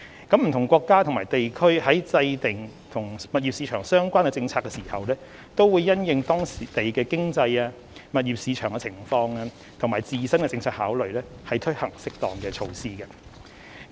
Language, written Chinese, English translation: Cantonese, 不同國家和地區在制訂與物業市場相關的政策時，均會因應當地的經濟、物業市場情況，以及自身的政策考慮，推行適當的措施。, When formulating policies related to the property market different countries and regions put in place appropriate measures based on their local economic and property market conditions as well as their own policy considerations